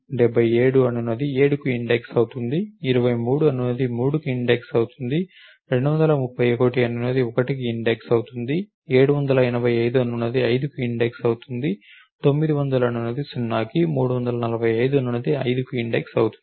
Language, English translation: Telugu, 77 hashes to an index of 7, 23 will hash to an index of 3, 231 will hash to an index of 1, 785 index hashes to an index of 5, 900 to 0, 345 to 5